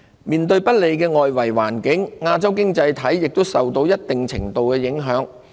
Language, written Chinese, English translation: Cantonese, 面對不利的外圍環境，亞洲經濟體亦受到一定程度的影響。, Asian economies have also been impacted somewhat by the unfavourable external environment